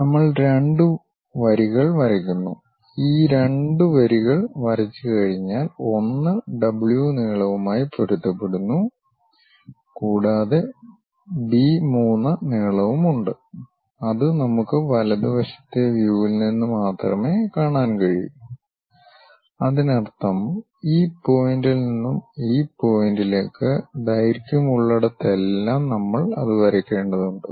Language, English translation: Malayalam, We draw two lines two lines, once these two lines are drawn one is W length matches with this one and there is a B 3 length, which we can see it only from right side view; that means, from this point to this point the length whatever it is there that we have to draw it